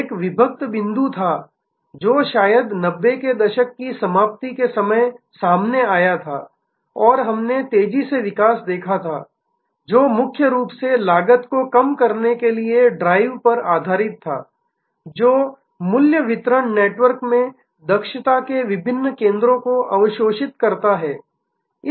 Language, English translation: Hindi, There was an inflection point, which perhaps occur towards the end of 90’s and we had seen rapid growth, which was mainly based on the drive to reduce cost, absorb different centres of efficiency into a value delivery network